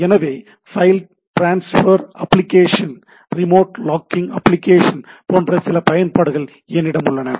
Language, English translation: Tamil, So, I have some applications like it can be file transport application, remote logging application and so and so forth